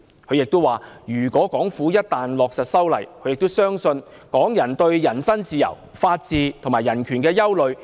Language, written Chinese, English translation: Cantonese, 他亦指出，港府一旦落實修例，預料將引起港人對人身自由、法治及人權的憂慮。, He also indicated that the amendment was likely to cause concern among the people of Hong Kong about personal freedom rule of law and human rights